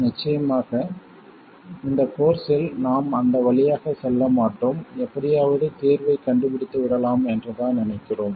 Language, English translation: Tamil, Now of course in this course we won't go through that we just assume that the solution can be found somehow